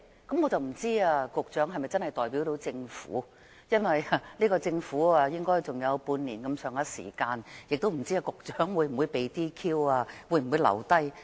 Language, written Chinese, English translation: Cantonese, 我不知道局長是否真的代表政府，因為這屆政府的餘下任期應只有大約半年，又不知道局長會否被 DQ 或可以留任。, I do not know if the Secretary can really speak on behalf of the Government for there are about six months to go before the expiry of the term of office of the Government and we do not know whether the Secretary will be DQ disqualified or whether he can remain in office in the next Government